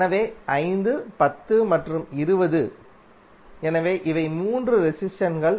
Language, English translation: Tamil, So 5, 10 and 20, so these are the 3 resistances